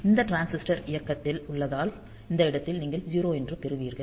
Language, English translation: Tamil, So, this transistor is on as a result at this point you will get the voltage of 0